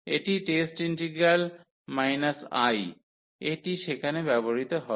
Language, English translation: Bengali, This is for test integral – 1, this will be used there